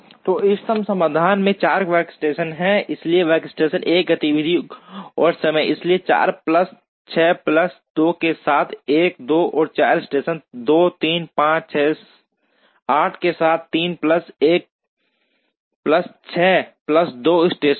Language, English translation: Hindi, So, the optimum solution has 4 workstations, so workstation 1, activity and time, so 1, 2 and 4 with 4 plus 6 plus 2, station 2 is 3, 5, 6, 8 with 3 plus 1 plus 6 plus 2